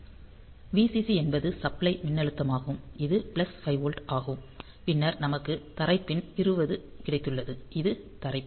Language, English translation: Tamil, So, Vcc is the supply voltage which is plus 5 volt, then we have got the ground pin 20; which is the ground pin